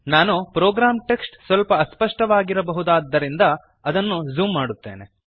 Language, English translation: Kannada, Let me zoom the program text it may possibly be a little blurred